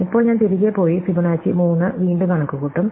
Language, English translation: Malayalam, And now, I will go back and compute Fibonacci 3 yet again